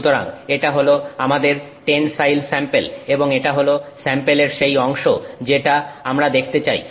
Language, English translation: Bengali, So, that is our tensile sample and this is the region of that sample that we are going to see